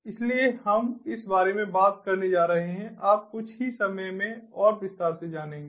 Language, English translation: Hindi, so we are going to talk about that, ah aha, you know in further detail in a short while